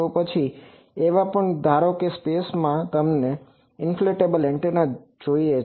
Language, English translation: Gujarati, Then there are also that suppose in the space you want to have an inflatable antenna